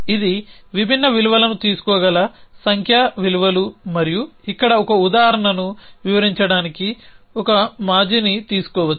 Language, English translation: Telugu, So, these are numerical values which can take different values and to take an ex to illustrate an example here